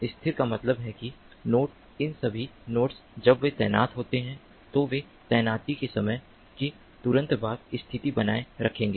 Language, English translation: Hindi, stationary means that the node, all these nodes, when they are deployed, they will maintain the position at subsequent instants of time after deployment